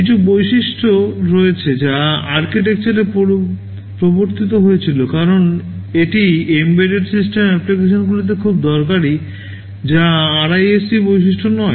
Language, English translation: Bengali, ;T there are some features which that have been introduced in the architecture because they are very useful in embedded system applications, which are not RISC characteristics